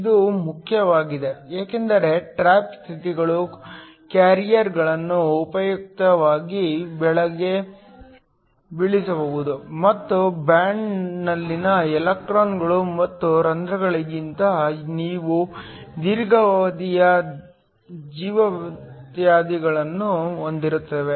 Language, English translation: Kannada, This is important because, trap states can usefully trap the carriers and these have a longer lifetime then the electrons and holes in the band